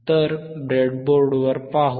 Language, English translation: Marathi, So, let us see on the breadboard